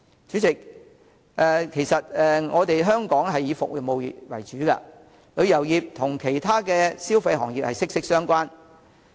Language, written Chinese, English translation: Cantonese, 主席，香港以服務業為主，旅遊業與其他消費行業息息相關。, President Hong Kong is oriented toward services sectors and the tourism industry is closely related to other consumer industries